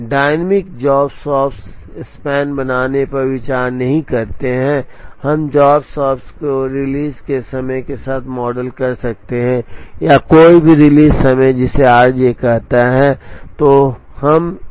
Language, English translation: Hindi, Dynamic job shops do not consider make span, we could also model job shops with the release times or no release times which is called r j